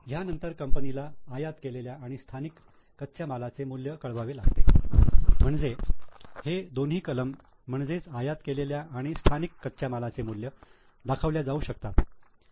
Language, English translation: Marathi, After this company is required to report the value of imported and indigenous raw material so these two items are shown imported raw material indigenous raw material then So, these two items are shown